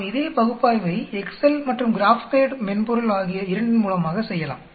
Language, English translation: Tamil, Let us do the same thing by using both Excel and the other software GraphPad